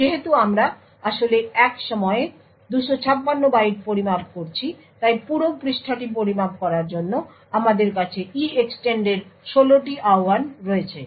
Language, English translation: Bengali, Since we are actually measuring 256 bytes at a time so therefore, we have 16 invocations of EEXTEND needed to measure the whole page